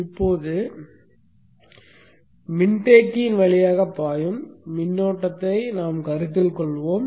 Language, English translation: Tamil, And now how will be the current through the inductor